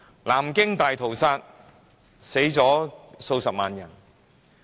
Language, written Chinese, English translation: Cantonese, 南京大屠殺，死了數十萬人。, Hundreds of thousands of people were killed in the Nanjing Massacre